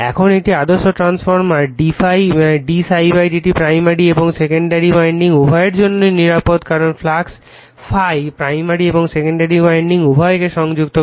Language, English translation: Bengali, Now, in an ideal transformer d∅ d psi /dt is same for both primary and secondary winding because the flux ∅ linking both primary and secondary winding